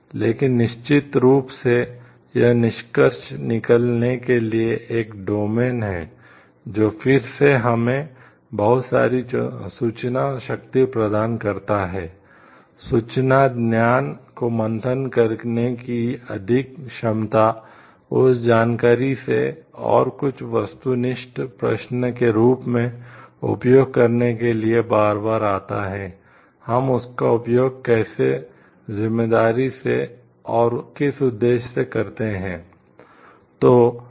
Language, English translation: Hindi, But of course, to conclude this is this is a domain, which again gives us so, much power of information so, much capability to like churn out information knowledge, from that information and use it for like some purpose question comes again and again, how we use it in a responsible way and for what purpose to be use it